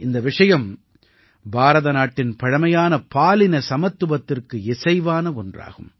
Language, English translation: Tamil, This was in consonance with India's ageold tradition of Gender Equality